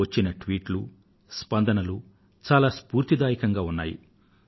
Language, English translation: Telugu, All tweets and responses received were really inspiring